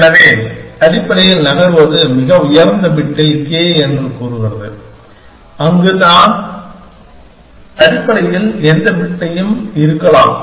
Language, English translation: Tamil, So, essentially move says that k in the highest bit where I could be any bit essentially